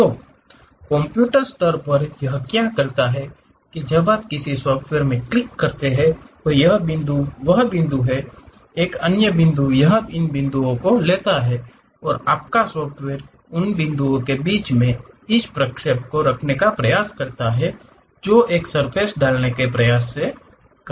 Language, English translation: Hindi, So, at computer level what it does is when you are clicking a software like pick this point, that point, another point it takes these points and your software try to does this interpolation in between those points try to put a surface